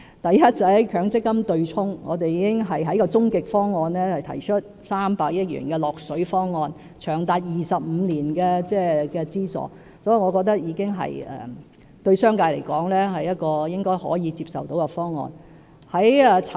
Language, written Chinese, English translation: Cantonese, 第一，在強積金對沖方面，我們已在終極方案提出300億元的"落水"方案，長達25年的資助，我認為對商界而言，是應該可以接受的方案。, First in respect of the offsetting arrangement under the Mandatory Provident Fund System in our final proposal we have made a financial commitment of 30 billion providing subsidies for a period of 25 years . I think this proposal should be acceptable to the business sector